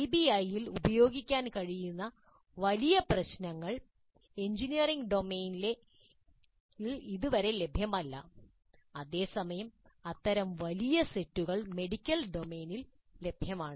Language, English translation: Malayalam, Large sets of problems which can be used in PBI are not yet available in engineering domain while such large sets are available in the medical domain